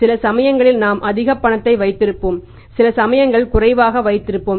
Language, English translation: Tamil, Sometimes we end up with having more cash, sometimes we end up having less cash